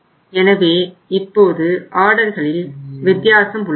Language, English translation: Tamil, So now the number of orders have increased